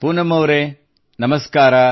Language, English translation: Kannada, Poonam ji Namaste